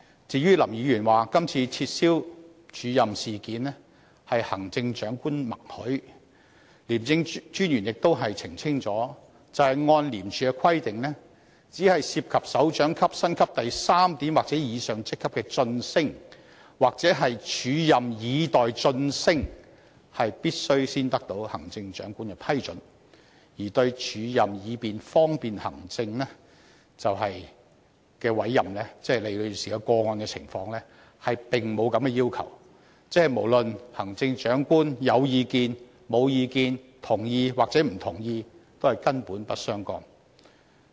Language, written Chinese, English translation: Cantonese, 至於林議員指今次撤銷署任事件是得到行政長官的默許，廉政專員亦已澄清，按照廉署的規定，只有涉及首長級薪級第3點或以上職級的晉升或"署任以待晉升"，才必須先取得行政長官的批准，而對"署任以方便行政"的委任，即李女士個案的情況，並沒有這個要求，即無論行政長官是否有意見、同意抑或不同意，並不相干。, As to Mr LAMs allegation that the cancellation of the acting appointment had the tacit consent of the Chief Executive the ICAC Commissioner has clarified that under the rules of ICAC the prior approval of the Chief Executive is required only when a promotion or an arrangement of acting with a view to promotion involves a post at Point 3 or above of the Directorate Pay Scale . There is no such a requirement for acting appointments for administrative convenience as in Ms LIs case . In other words whether the Chief Executive has any comments or whether he agrees or not is basically irrelevant